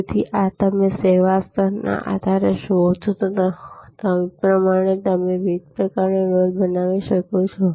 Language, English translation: Gujarati, So, these are as you see based on service level you can create different kinds of buckets